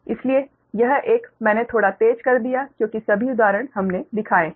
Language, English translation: Hindi, so this one i made little bit faster because all examples we have shown right